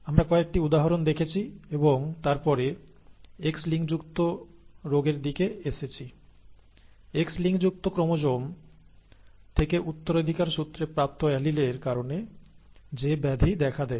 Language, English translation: Bengali, We showed some examples, we looked at some examples and then came to the situation of X linked disorders, the disorders that arise due to alleles that are inherited from X linked chromosomes